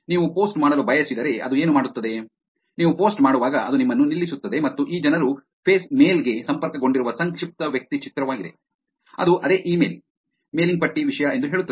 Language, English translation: Kannada, What it does is if you wanted to do a post, when you are doing a post it is actually going to stop you and say that these people, which is the profile picture connected to the face mail, it is the same thing as in the email mailing list